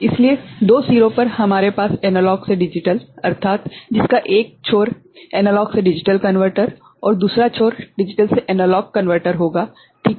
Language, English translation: Hindi, So, at two ends we will be having analog to digital I mean, in one end analog to digital converter and another end digital to analog converter ok